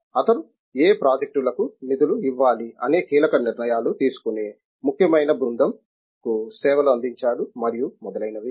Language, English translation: Telugu, He serves many important committees which make key decisions on you know what projects should be funded and so on